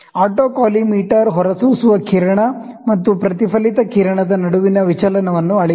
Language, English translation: Kannada, The autocollimator measure the deviation between the emitted beam and the reflected beam